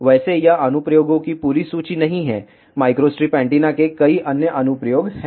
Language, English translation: Hindi, By, the way this is not the complete list of applications there are many many other applications of microstrip antenna